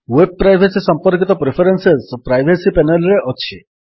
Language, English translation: Odia, The Privacy panel contains preferences related to your web privacy